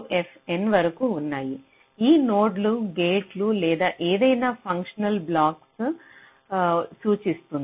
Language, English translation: Telugu, these nodes may indicate gates or any functional blocks